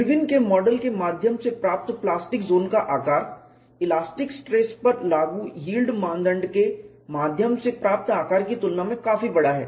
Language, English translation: Hindi, The plastic zone size obtain through Irwin’s model is quite large in comparison to the one obtain through the yield criteria applied to the elastic field